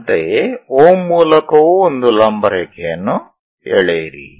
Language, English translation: Kannada, Similarly, draw one perpendicular line through O also